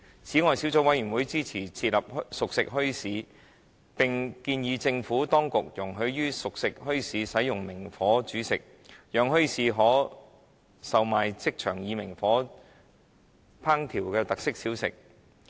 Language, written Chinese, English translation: Cantonese, 此外，小組委員會支持設立熟食墟市，並建議政府當局容許熟食墟市使用明火煮食，讓墟市可售賣即場以明火烹調的特色小食。, Besides the Subcommittee supports the establishment of cooked food bazaars and recommends the Administration to allow the use of naked flame in the cooked food bazaars so that featured snacks that need to be cooked by naked flame on spot can be sold at the bazaars